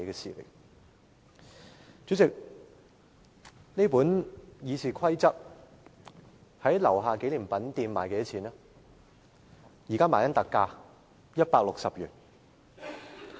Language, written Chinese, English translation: Cantonese, 我手持的這本《議事規則》，在立法會大樓紀念品店現正以特價160元發售。, This copy of the Rules of Procedure RoP I am holding is now being sold for a discounted price of 160 at the Souvenir Kiosk at the Legislative Council Complex